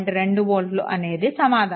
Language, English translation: Telugu, 2 volt that should be the answer right